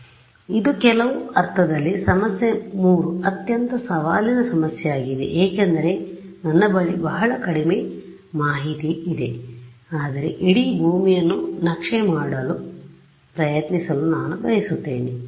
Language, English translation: Kannada, So, this is in some sense problem 3 is the most challenging problem because, I have very little information yet I want to try to map the whole earth ok